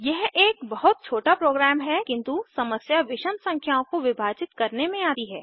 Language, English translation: Hindi, It is a very trivial program but the issue comes in dividing odd numbers